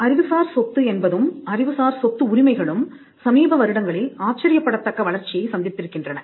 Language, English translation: Tamil, Growth of intellectual property, intellectual property rights has witnessed some phenomenal growth in the recent years